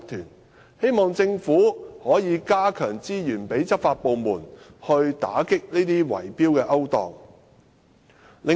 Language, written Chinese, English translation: Cantonese, 因此，我希望政府能增撥資源予執法部門，以打擊圍標的勾當。, I thus hope that the Government can allocate more resources to the law enforcement departments for cracking down on tender rigging activities